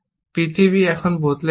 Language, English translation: Bengali, The world has changed now